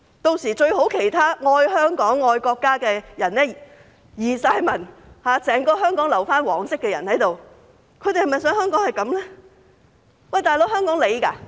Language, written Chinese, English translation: Cantonese, 屆時，其他愛香港、愛國家的人全部移民，整個香港只剩下"黃色"的人，他們是否想香港這樣？, By then those who love Hong Kong and the country will emigrate and there will be only yellow people left in Hong Kong . Is that what they want for Hong Kong?